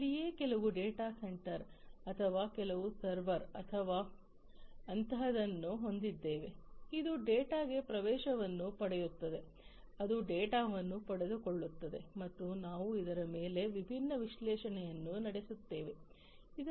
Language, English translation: Kannada, And this is where we will have some data center or simplistically some server or something like that which will get access to the data, which will acquire the data, and we will run different analytics on it, right